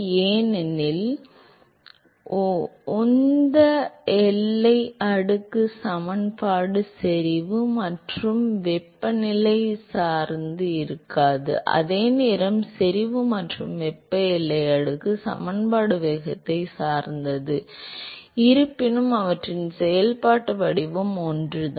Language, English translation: Tamil, Because the momentum boundary layer equation does not depend upon the concentration and temperature, while the concentration and thermal boundary layer equation they depend upon the velocity, although their functional form is same